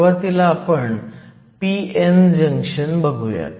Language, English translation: Marathi, So, we are going to start with a p n junction